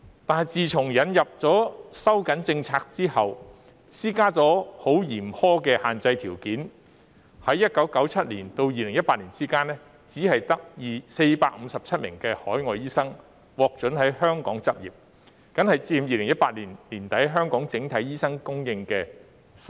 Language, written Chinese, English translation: Cantonese, 但自從政策收緊後，施加了十分嚴苛的限制條件，在1997年至2018年期間，只有457名海外醫生獲准在香港執業，僅佔2018年年底香港整體醫生供應的 3%。, However after the policy was tightened harsh restrictions were imposed . From 1997 to 2018 only 457 overseas doctors were allowed to practise in Hong Kong accounting for just 3 % of Hong Kongs overall doctor supply at the end of 2018